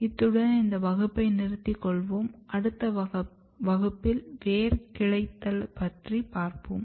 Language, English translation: Tamil, So, will stop here in class we will discuss root branching